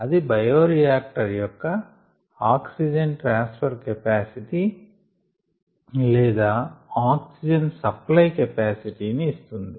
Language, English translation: Telugu, that gives us an idea of the oxygen transfer capacity or oxygen supply capacity of the bioreactor